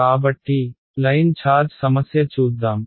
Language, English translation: Telugu, So, let us lo at a Line Charge Problem